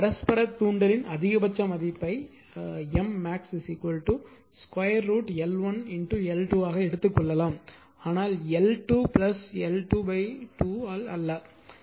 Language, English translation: Tamil, So, therefore, therefore, the maximum value of mutual inductance can be taken as M max is equal to root over L 1 L , but not L 1 L 2 by 2 right